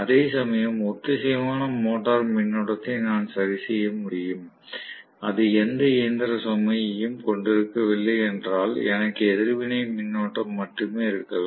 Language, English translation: Tamil, Whereas synchronous motor current I would be able to adjust in such a way that, if it is hardly having any mechanical load I may have only a reactive current, hardly having any reactive, real load